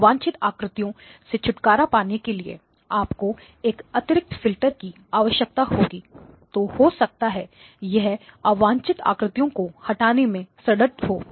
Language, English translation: Hindi, You would have to have an additional filter here to get rid of the unwanted images, so this one is the one that removes the removes unwanted images